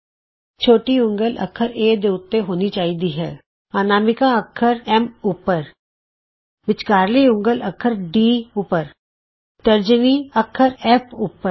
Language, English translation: Punjabi, Ensure that the little finger is on alphabet A, Ring finger is on the alphabet S, Middle finger on alphabet D, Index finger on alphabet F